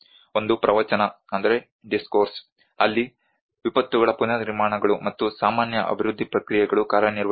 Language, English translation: Kannada, One is a discourse, where the disasters the reconstructions and the usual development process work on